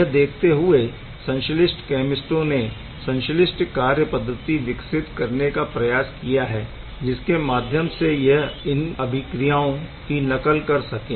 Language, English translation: Hindi, And by looking at these a synthetic chemist has tried to develop synthetic methodology; that really can mimic this reaction